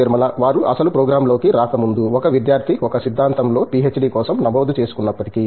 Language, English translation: Telugu, Before they get into the actual program, even if a student registers for a PhD in a theory